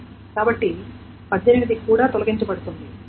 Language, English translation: Telugu, So, 18 will be also erased